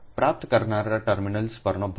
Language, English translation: Gujarati, is the load at the receiving terminals